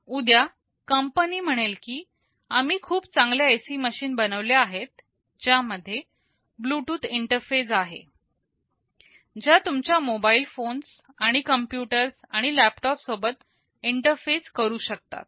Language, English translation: Marathi, Tomorrow the company says that we have come up with a better AC machine that has a Bluetooth interface, which can interface with your mobile phones and computers and laptops